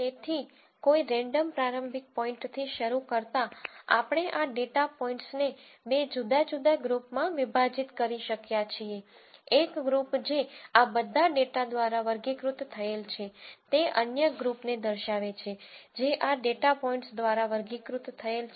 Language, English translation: Gujarati, So, by starting at some random initial point, we have been able to group these data points into two different groups, one group which is characterized by all these data points the other group which is characterized by these data points